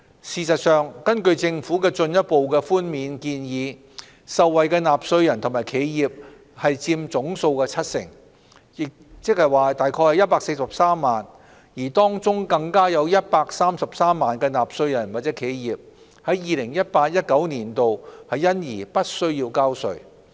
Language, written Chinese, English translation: Cantonese, 事實上，根據政府的進一步寬免建議，受惠的納稅人和企業佔總數七成，即約143萬，當中更有133萬納稅人或企業在 2018-2019 課稅年度因而不需交稅。, In fact according to the Governments proposal on further concessions the taxpayers and enterprises benefiting from it numbering about 1.43 million account for 70 % of the total number . Among them 1.33 million will as a result be even spared from paying any tax for the year of assessment 2018 - 2019